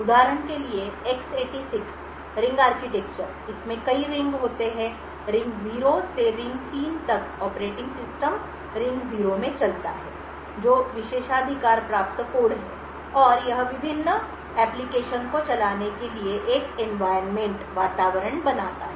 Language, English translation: Hindi, In the ring architecture for example X86 ring architecture, there are multiple rings, ring 0 to ring 3, the operating system runs in the ring 0 which is the privileged code and it creates an environment for various applications to run